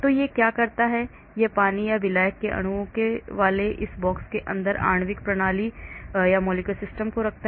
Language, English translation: Hindi, So what it does is it places the molecular system inside a box containing water or solvent molecules